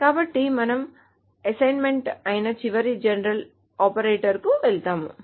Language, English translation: Telugu, So we'll move on to the last general operator which is the assignment